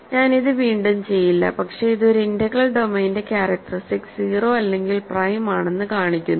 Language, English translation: Malayalam, So, I will not do this again, but this shows that characteristic of an integral domain is either 0 or its prime ok